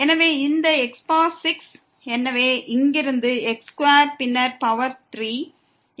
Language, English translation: Tamil, So, this power 6, so from here also square and then power 3